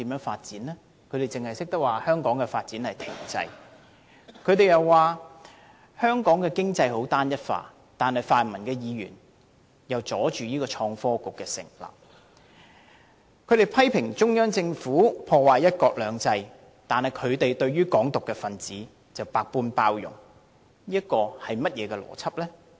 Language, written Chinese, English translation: Cantonese, 泛民議員只懂說香港發展停滯，又說香港經濟十分單一化，但他們卻阻礙創新及科技局的成立；他們批評中央政府破壞"一國兩制"，但對"港獨"分子卻百般包容，這是怎樣的邏輯呢？, Pan - democratic Members keep on complaining about stalled development in Hong Kong and the lack of diversification in the economy yet they blocked the establishment of the Innovation and Technology Bureau; they blame the Central Government for damaging one country two systems but they are extremely tolerant towards those advocating Hong Kong independent . What kind of logic is this?